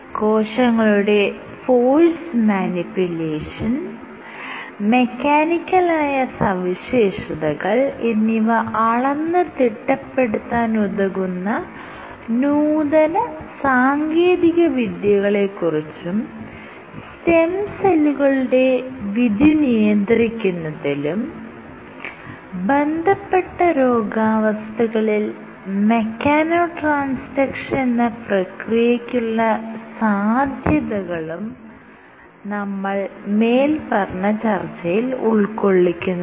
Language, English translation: Malayalam, We will also discuss about newly engineered technologies for force manipulation and measurement of cell mechanical properties, and we will discuss the role of mechano transaction in regulating stem cell fate and in diseases